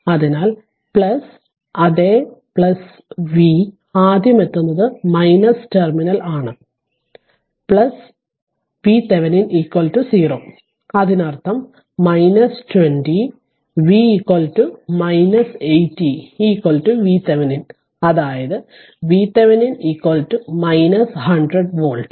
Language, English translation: Malayalam, So, plus minus same thing we are writing plus V right encountering minus terminal first V Thevenin is equal to 0; that means,; that means, minus 20 and V is equal to minus 80 is equal to V thevenin; that means, V Thevenin is equal to minus 100 volt right